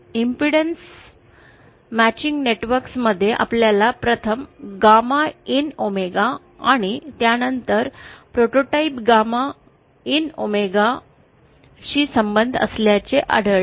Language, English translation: Marathi, In the impedance matching networks, we 1st had found out a relationship for, gamma in omega and then we had equated it to a prototype gamma in omega